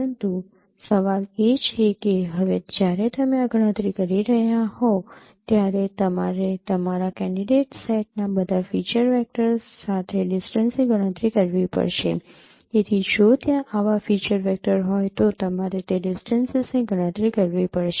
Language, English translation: Gujarati, But the question is that now when you are performing this computation you have to compute the distances with all the feature vectors in that in your candidate set